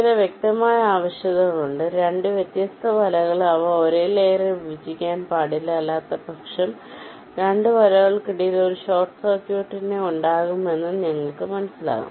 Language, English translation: Malayalam, there are some obvious requirements: two different nets, they should not intersect on the same layer as otherwise, you can understand, there will be a short circuit between the two nets